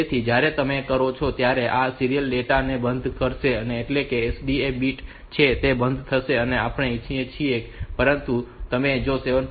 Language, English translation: Gujarati, So, when you do this; so this will turned off the serial data that is this SDE bit will be turned off and we want to but you do not reset that 7